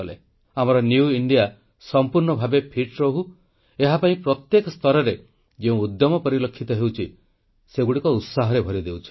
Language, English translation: Odia, Efforts to ensure that our New India remains fit that are evident at every level fills us with fervour & enthusiasm